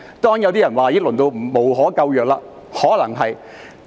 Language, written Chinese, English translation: Cantonese, 當然，有些人說已經淪落得無可救藥，可能是的。, Of course some people would say that the Legislative Council has already degenerated to a hopeless state